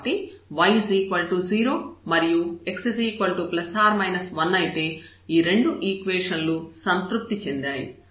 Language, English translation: Telugu, So, let us consider that y is equal to 0 so, this equation is satisfied